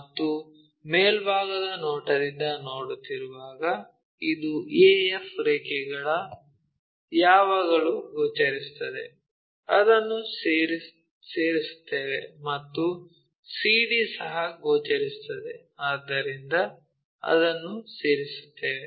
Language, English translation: Kannada, And when we are looking from top view this a to f line always be visible, we join it, and c to d also visible, so we join that